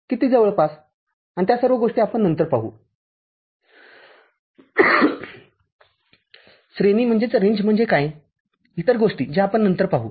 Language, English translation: Marathi, How much close and all those things we shall see later, what is the range other things, that we shall see later